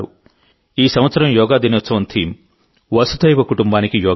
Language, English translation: Telugu, This year the theme of Yoga Day is 'Yoga For Vasudhaiva Kutumbakam' i